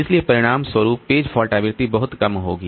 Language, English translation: Hindi, So as a result the page fault frequency will very low